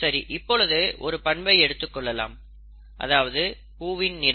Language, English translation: Tamil, Now let us look at one character, okay, which is flower colour